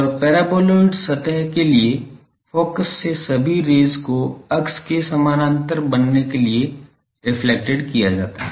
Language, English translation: Hindi, And, for the paraboloid surface all rays from focus are reflected to become parallel to axis